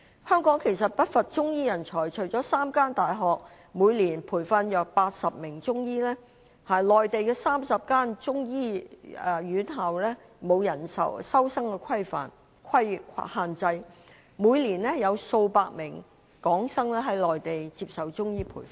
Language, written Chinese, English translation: Cantonese, 香港其實不乏中醫人才，除了3間大學每年培訓約80名中醫，內地30間中醫院校並沒有收生人數限制，每年有數百名港生在內地接受中醫培訓。, In fact Hong Kong is not short of Chinese medicine practitioners . Apart from three universities from which 80 Chinese medicine students graduate each year there are 30 Chinese medicine hospitals on the Mainland which do not have limit on the number of Chinese medicine students . Every year a few hundred students from Hong Kong receive Chinese medicine training on the Mainland